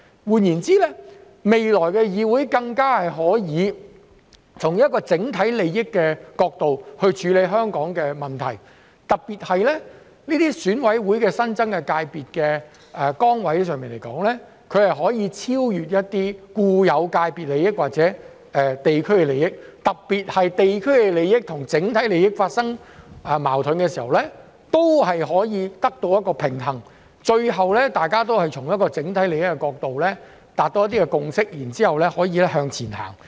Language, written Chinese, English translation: Cantonese, 換言之，未來的議會更加可以從整體利益的角度處理香港的問題，特別是選委會的新增界別席位，亦可超越一些固有界別的利益或者地區利益，尤其是在地區利益與整體利益發生矛盾時，也能取得平衡，最後大家可以從整體利益的角度達到共識，然後再向前行。, In other words the future Council will be more able to deal with Hong Kongs problems from the perspective of overall interests . In particular with the new EC seats it will be possible to transcend the interests of some existing sectors or the interests of the local communities especially in times of conflicts between the interests of the local communities and the overall interests so that a balance can be struck and a consensus can be reached from the perspective of overall interests and then we can all move forward